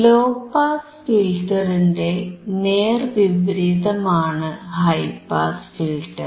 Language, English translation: Malayalam, High pass filter is exact opposite of low pass filter